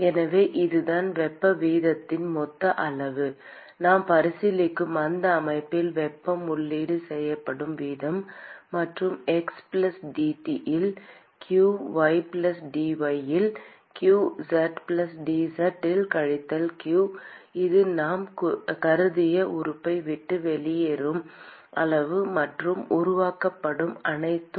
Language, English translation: Tamil, So, that is the total amount of heat rate rate at which heat is being input to that system that we are considering; and what leaves is q at x+dx, q at y+dy, minus q at z+dz that is the amount that is leaving the element that we have considered plus whatever is being generated